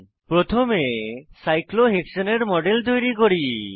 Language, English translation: Bengali, Let us first create a model of cyclohexane